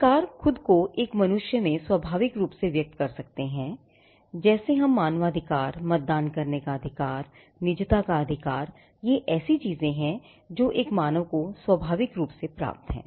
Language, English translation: Hindi, Rights may express itself, inherently in a human being like what we say about human rights, your right to vote, your right to be, your right to privacy these are things which are inherent in a human being